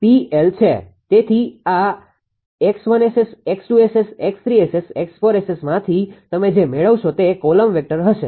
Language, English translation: Gujarati, So, in from this X 1 S S X 2 S S X 3 S S X 4 S S all you will get it will be a column vector, right